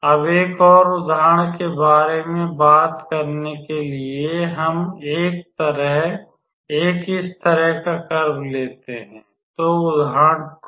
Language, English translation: Hindi, So, to talk about an another example we start with let us say a curve like this; so, example 2